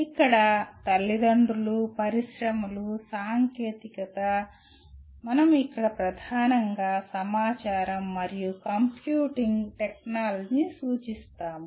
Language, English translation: Telugu, Here the parents, industry, the technology here we mainly refer to information and computing technology